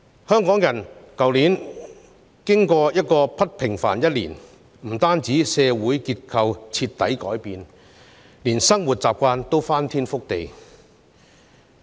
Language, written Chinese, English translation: Cantonese, 香港人去年經歷了不平凡的一年，不但社會結構徹底改變，連生活習慣也翻天覆地。, Hong Kong people have had a pretty unusual year in 2020 with radical changes both in terms of social structure and peoples way of life